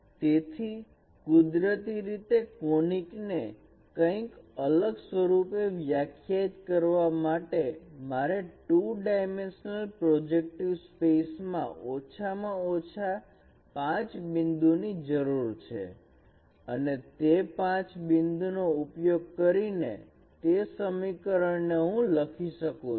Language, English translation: Gujarati, So naturally to define a conic uniquely I need at least five points in the two dimensional projective space and I can write those equations using that five points